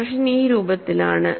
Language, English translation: Malayalam, The expression is of this form